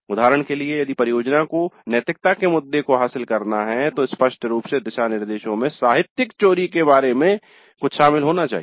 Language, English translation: Hindi, For example, if the project is supposed to address the issue of ethics, then explicitly the guidelines must include something about plagiarism